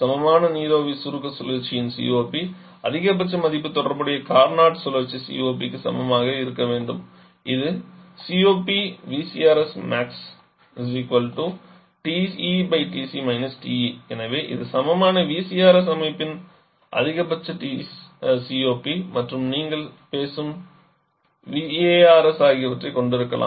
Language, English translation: Tamil, COP of equivalent vapour compression cycle the maximum value should be equal to the corresponding Carnot cycle COP, which is nothing but TE upon TE TC so this the maximum COP of an equivalent VCRS system can have and the VRS that you are talking about